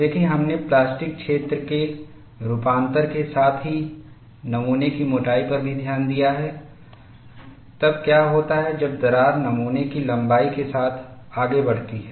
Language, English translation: Hindi, See, we have looked at variation of plastic zone over the thickness of the specimen, as well as, what happens when the crack proceeds along the length of the specimen, how the situation takes place